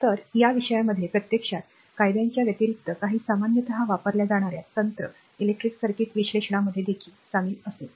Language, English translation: Marathi, So, in this topic actually in addition to an addition to the laws, we will also involve right some commonly applied technique electric circuit analysis